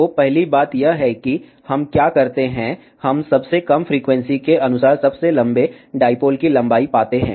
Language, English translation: Hindi, So, first thing what we do, we find the length of the longest dipole corresponding to the lowest frequency